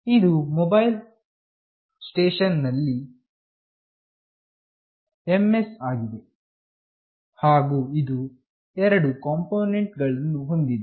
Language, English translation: Kannada, This MS is the Mobile Station, and it consists of two components